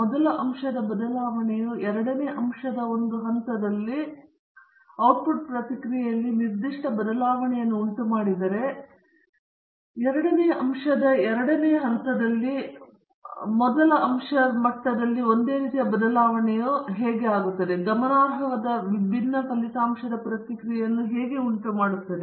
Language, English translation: Kannada, If the change in level of the first factor causes a certain change in output response at one level of the second factor, an identical change in the first factor level at the second level of second factor will produce a markedly different output response